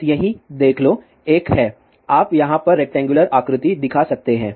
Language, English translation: Hindi, Just see over here, there is a one, you can see here rectangular shape shown over here